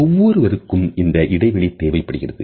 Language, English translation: Tamil, Everyone needs their own personal space